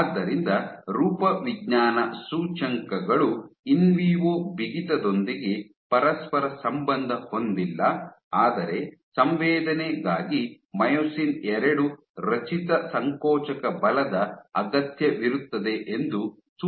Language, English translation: Kannada, So, suggesting that these morphological indices, they have not only correlate with in vivo stiffness, but require myosin two generated contractile forces for sensing